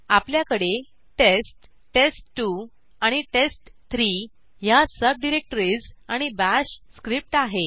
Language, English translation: Marathi, We have subdirectories test, test2 and test3 and a Bash script